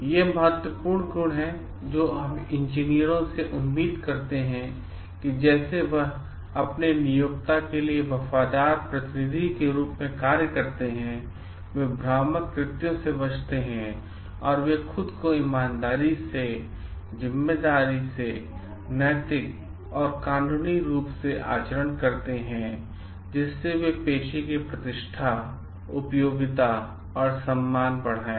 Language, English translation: Hindi, These are important qualities that we expect from engineers like they act as faithful agents for their employer, they avoid deceptive acts and they conduct themselves honorably, responsibly, ethically and lawfully, so that they enhance the honor, reputation and usefulness of the profession